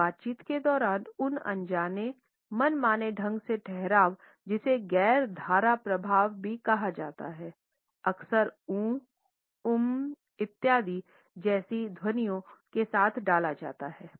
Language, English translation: Hindi, During a conversation those unintentional pauses those arbitrary pauses which are also called non fluencies are often inserted with sounds and utterances like ‘oh’, ‘uumm’ etcetera